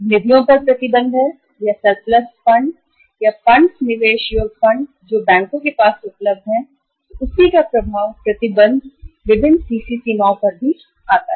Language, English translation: Hindi, There is a restriction on the funds or surplus funds or the funds investible funds available with the banks then the impact of that restriction comes on the different CC limits also